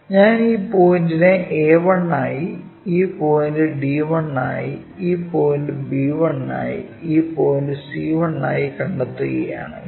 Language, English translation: Malayalam, If I am locating this point as a 1, this point as d 1, this point as b 1, and this point as c 1, let us join these lines